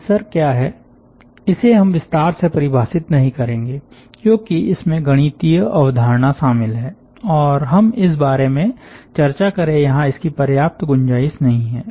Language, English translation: Hindi, we will not be defining in general what is the tensor because it is an involved mathematical concept and there is not enough scope here that we discuss about that